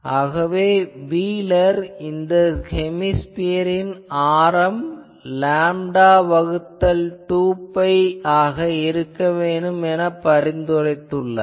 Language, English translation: Tamil, So, I will now tell you that originally wheeler recommended that the radius of this hemisphere that should be lambda by 2 pi